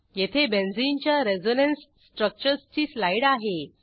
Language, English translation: Marathi, Here is slide for the Resonance Structures of Benzene